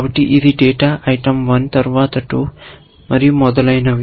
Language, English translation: Telugu, So, this is the data item 1 then 2 and so on essentially